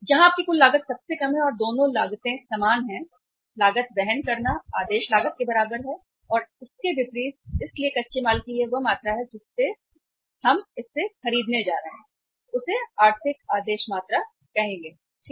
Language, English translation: Hindi, Where your total cost is the lowest and both the costs they are equal, carrying cost is equal to the ordering cost and vice versa so this quantity of the raw material which we are going to purchase from this to this is called as the economic order quantity right